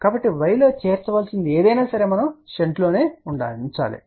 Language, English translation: Telugu, So, anything which needs to be added in y has to be in shunt